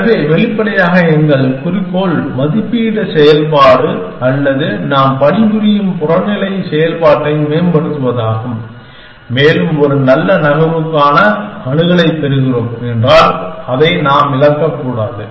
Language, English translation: Tamil, So, obviously our goal is to optimize the valuation function or the objective function of that we are working on and if we are getting access to a good move then we should not lose it